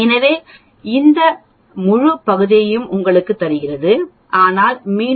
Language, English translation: Tamil, So it gives you this whole area but again I need to subtract the 0